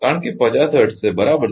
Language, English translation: Gujarati, Because is a 50 hertz right